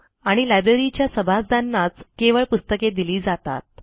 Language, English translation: Marathi, And the library issues books to its members only